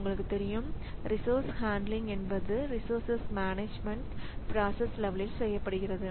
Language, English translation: Tamil, And as you know that resource handling, resource management is done at the process level